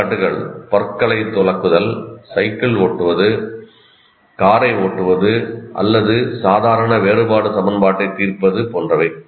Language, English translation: Tamil, Examples are brushing teeth, riding a bicycle, driving a car, or solving an ordinary differential equation, etc